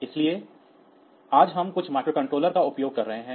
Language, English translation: Hindi, So, today we are using some microcontroller